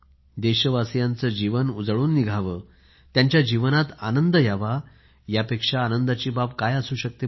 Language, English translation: Marathi, There is no greater contentment and joy than the fact that the lives of the countrymen be full of shine and there be happiness in their lives